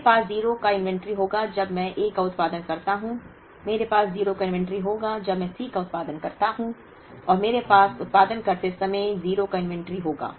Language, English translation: Hindi, I will have an inventory of 0 when I produce A, I will have an inventory of 0 when I produce C and I will have an inventory of 0 when I produce